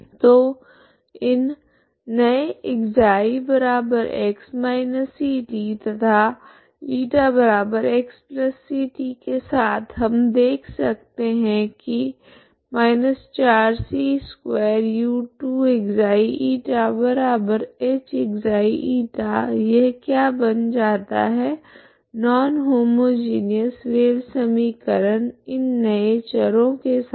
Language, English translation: Hindi, So with this new ξ=x−ct and η=x+ct we can see that −4 c2u2ξ η=h(ξ , η) this is what it becomes for this non homogeneous wave equation becomes this, okay the non homogeneous non homogeneous wave equation becomes with this new variables